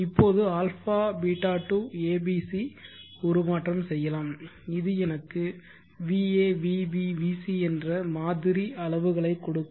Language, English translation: Tamil, Now a beeta to a b c I will do one more transformation which will give me the reference va vb vc